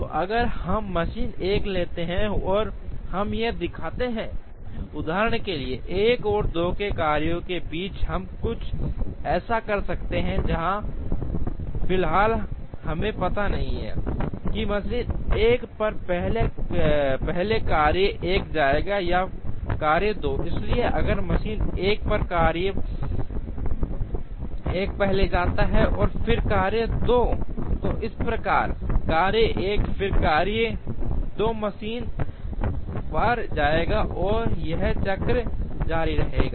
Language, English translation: Hindi, So, if we take machine 1 and show this we could have for example, between jobs 1 and 2 we could have something like this, where at the moment we do not know, whether job 1 is going to go first on machine 1 or job 2 is going to go first on machine 1